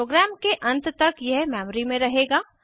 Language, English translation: Hindi, It will remain in the memory till the end of the program